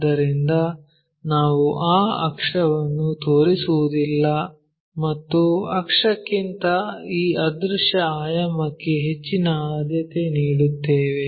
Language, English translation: Kannada, So, we do not show that axis and give preference more for this invisible dimension than for the axis